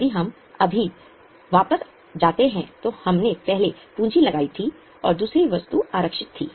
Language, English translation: Hindi, If we just go back, we had earlier put capital and we had the second item was reserve